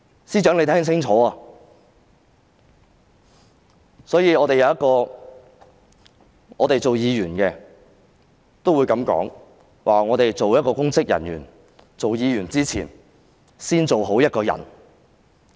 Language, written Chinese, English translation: Cantonese, 身為議員的我們也會這樣說：作為公職人員，當議員的人必須先做好一個人。, We as Members would also say that as public officers those holding office as lawmakers must acquit themselves as decent human beings in the first place